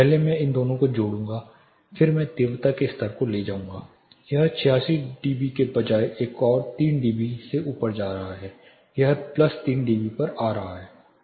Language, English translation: Hindi, First I will add these two then I will take the intensity level it is going up by another 3 dB instead of 86 dB it is coming to plus 3 dB